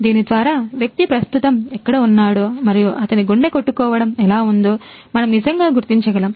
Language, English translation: Telugu, So, through this we can actually detect where the person is right now and what is his heart beat